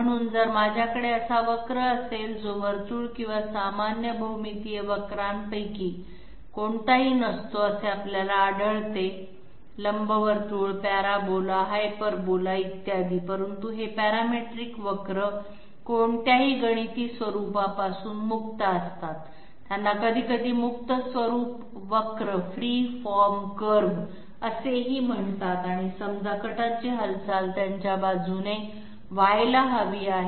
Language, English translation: Marathi, So if I have a curve which is neither a circle nor any of the common geometrical curves that we come across; ellipse, parabola, hyperbola, et cetera, but these parametric curves are you know free of any mathematical form, they are also sometimes called Free form curves and say the movement of the cutter has to take place along these